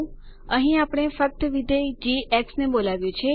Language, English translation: Gujarati, here we just call the function g